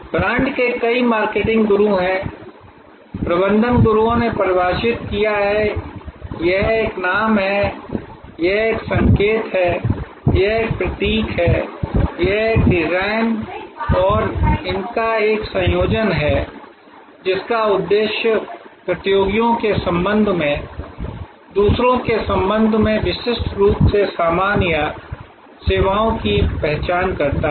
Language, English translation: Hindi, Brand has many marketing gurus, management gurus have defined is a name, it is a sign, it is a symbol, it is a design and a combination of these, intended to identify the goods or services distinctively with respect to others with respect to competitors